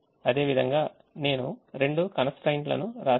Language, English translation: Telugu, in a similar manner i have written the two constraints